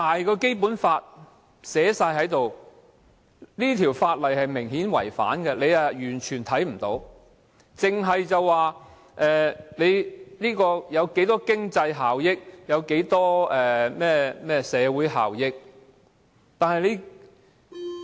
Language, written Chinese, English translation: Cantonese, 《基本法》清楚訂明，而這項法例明顯違反《基本法》，但他們完全視而不見，只着眼經濟效益、社會效益。, There is clear stipulations in the Basic Law and the Bill is obviously in contravention of the Basic Law but they completely ignored it because their eyes are set only on the economic and social benefits